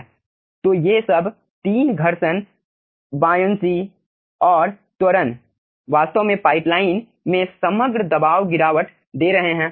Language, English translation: Hindi, so all these 3, friction and acceleration, all these 3 are actually giving you the overall pressure drop in the pipeline